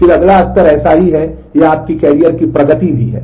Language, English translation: Hindi, Then the next level, this is so, this is your kind of your career progression also